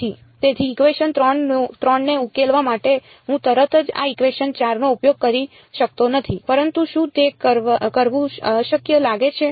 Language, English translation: Gujarati, So, I cannot immediately use this equation 4 to solve equation 3, but does it look impossible to do